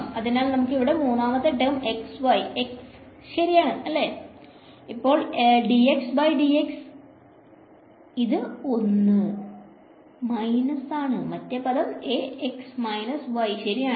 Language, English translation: Malayalam, So, let us take the third term over here A y is x right, now d x by d x that is 1 minus and the other term is A x is minus y right